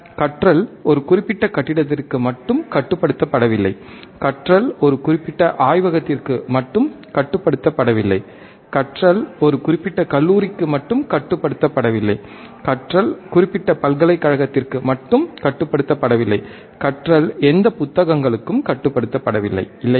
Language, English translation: Tamil, Learning is not restricted to a particular building, learning is not restricted to a particular lab, learning is not restricted to a particular college, learning is not restricted to particular university, learning is not restricted to any books also, right